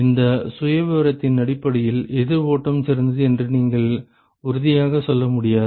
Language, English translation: Tamil, Based on this profile, you really cannot say for sure that counter flow is better